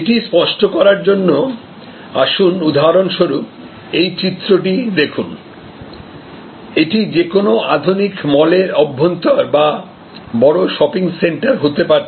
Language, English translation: Bengali, To clarify this, let us for example look at this picture, this could be actually the interior of any modern mall or a sort of large shopping centre